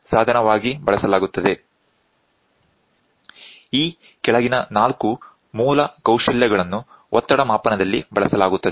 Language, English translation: Kannada, The following four basic skills are employed in pressure measurement